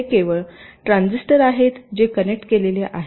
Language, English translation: Marathi, but the transistors are not interconnected